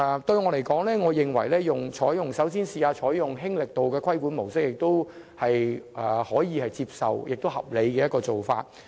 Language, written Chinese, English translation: Cantonese, 對我來說，先嘗試"輕力度"的規管模式是可以接受和合理的做法。, In my view it is acceptable and reasonable to try the light touch regulatory approach first